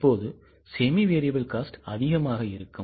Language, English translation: Tamil, Then semi variable cost, how much it is